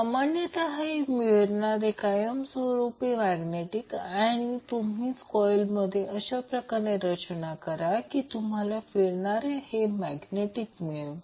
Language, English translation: Marathi, So, generally these rotating magnets are either permanent magnet or you arrange the coils in such a way that you get the rotating magnet in the generator